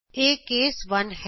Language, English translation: Punjabi, This is case 1